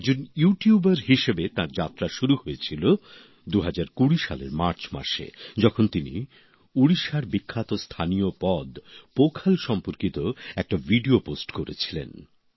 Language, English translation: Bengali, His journey as a YouTuber began in March 2020 when he posted a video related to Pakhal, the famous local dish of Odisha